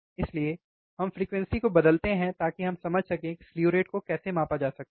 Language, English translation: Hindi, So, we change the frequency so that we can understand how this slew rate can be measure ok